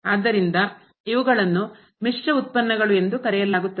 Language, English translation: Kannada, So, these are called the mixed derivatives